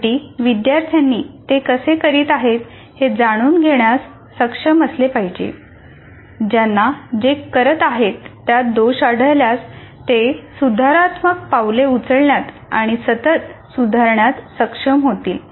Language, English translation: Marathi, And finally, the student should be able to know how exactly they are doing and if they can find faults with whatever they are doing, they will be able to take corrective steps and continuously improve